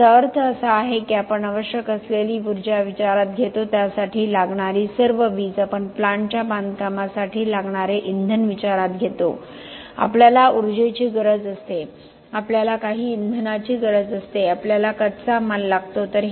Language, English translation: Marathi, So, this means that we take into account the energy needed all the electricity needed we take into account the fuel needed for the plant itself for construction of a plant we need energy we need some fuel, we need raw materials